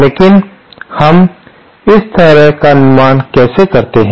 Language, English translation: Hindi, But how do we build such a thing